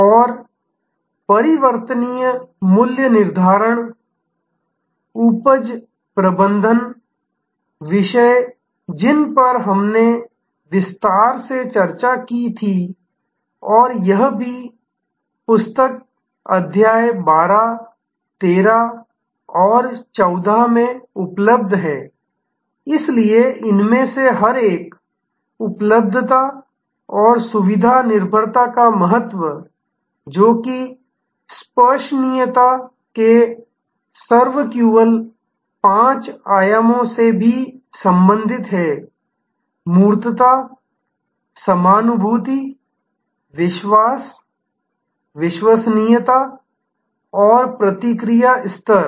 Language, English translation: Hindi, And variable pricing yield management topics that we had discussed in detail and also available in the book chapter 12, 13 and 14, so each one of these, the importance of availability and convenience dependability, which is also related to the SERVQUAL five dimensions of tangibility, empathy, assurance, reliability and response level